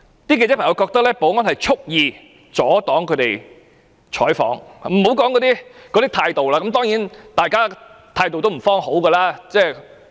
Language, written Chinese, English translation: Cantonese, 記者認為保安人員畜意阻擋他們採訪，我也不說甚麼態度了，當然大家那時的態度一定不會良好。, In the view of the journalists the security staff made a deliberate attempt to stop them from covering news . I am not mentioning their attitudes as certainly the attitudes of both parties were not friendly at that time